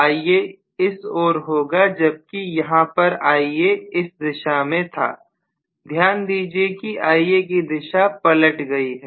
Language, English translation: Hindi, So this will be the Ia direction whereas here the Ia direction was this please note that Ia direction has reversed